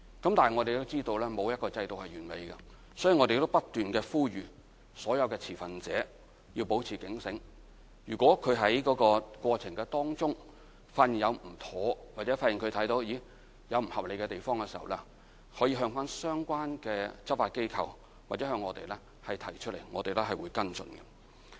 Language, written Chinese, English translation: Cantonese, 但我們知道沒有一個制度是完美的，所以不斷呼籲所有持份者要保持警醒，如果在過程中發現有不妥當或不合理的地方，可向相關的執法機構或向我們提出，我們會跟進。, But as no system is perfect we keep asking stakeholders to stay vigil and report to relevant law enforcement authorities or to us for following - up in case they find any inappropriate or unreasonable practices during the process